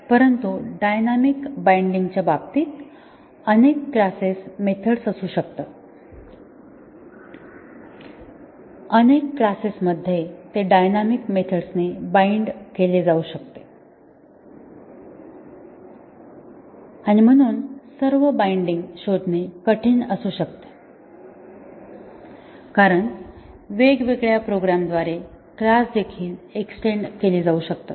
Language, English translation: Marathi, But, in case of dynamic binding there may be many classes method, in many classes where it can be bound dynamically and therefore, finding all the bindings may be difficult because classes may also get extended by different programmers